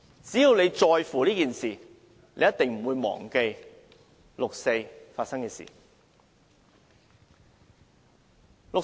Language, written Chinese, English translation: Cantonese, 只要大家在乎這件事，便一定不會忘記六四發生的事。, So long as we care about this incident we definitely will not forget what happened in the 4 June incident